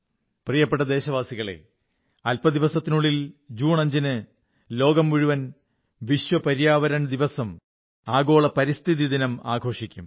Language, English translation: Malayalam, a few days later, on 5th June, the entire world will celebrate 'World Environment Day'